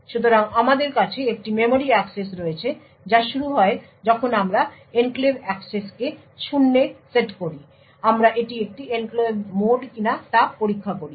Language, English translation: Bengali, So, we have a memory access that is which is initiated we set the enclave access to zero we check whether it is an enclave mode